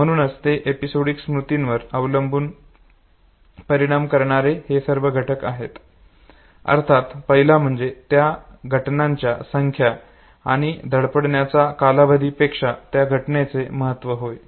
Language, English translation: Marathi, Therefore the whole lot of factors that affect episodic memory, first one of course is the significance of the event, besides that amount in the space of practice